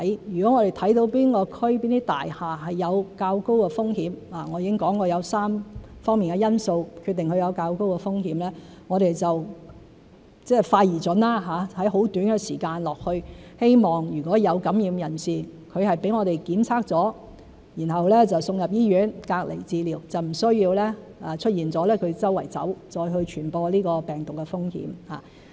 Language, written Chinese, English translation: Cantonese, 如果我們看到哪一區、哪一座大廈有較高風險——我已經說過有3方面的因素決定它有較高的風險——我們就會快而準地在很短的時間去到該處，希望如果有感染人士，他被我們檢測後送到醫院隔離治療，就不會出現他到處走、再傳播病毒的風險。, If we see a certain district or building that is at higher risk―I have already mentioned the factors in three aspects for determining the higher risk―we will arrive there in a swift and accurate manner within a short time so that if any person is infected he will be tested and then send to hospital for isolation and treatment thus eliminating the risk of him walking around and spreading the virus